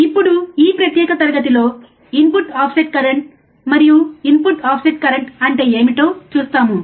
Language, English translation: Telugu, Now, in this particular class, we will see input offset current and what exactly input offset current means